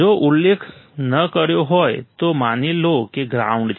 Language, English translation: Gujarati, If not mentioned, assume that there is ground